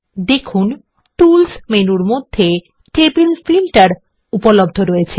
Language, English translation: Bengali, Now, Table Filter is available under the Tools menu